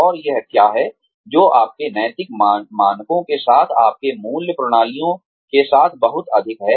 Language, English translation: Hindi, And what is it, that is, very much in line, with your ethical standards, with your value systems